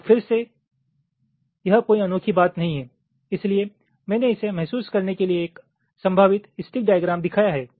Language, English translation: Hindi, now again, this is a, not a unique thing, so i have shown one possible stick diagram to realize this